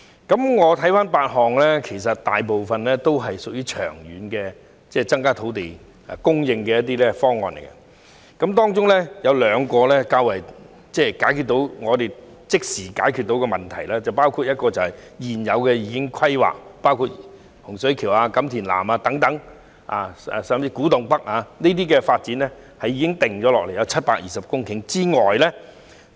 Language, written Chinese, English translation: Cantonese, 在這8個方案中，大部分也屬於長遠增加土地供應的方案，其中兩項可以即時解決問題，包括現有已規劃的土地，例如洪水橋、錦田南以至古洞北，這些發展涵蓋共720公頃的土地。, Most of these eight options seek to increase land supply in the long run with two of them capable of solving the problem immediately . They include existing planned land eg . the developments in Hung Shui Kiu Kam Tin South and Kwu Tung North which cover a total of 720 hectares of land